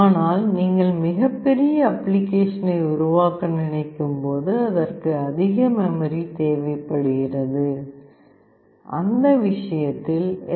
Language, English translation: Tamil, But when you think of a very huge application that you are trying to build, which requires higher memory, in that case STM board will be preferred